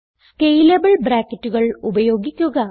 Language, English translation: Malayalam, Use scalable brackets